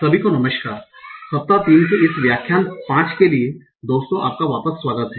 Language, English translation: Hindi, so hello everyone welcome back and for this lecture 5 of week 3 so in the last lecture 5 of week 3